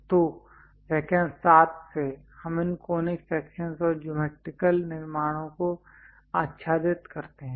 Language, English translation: Hindi, So, in lecture 7 onwards we cover these conic sections and geometrical constructions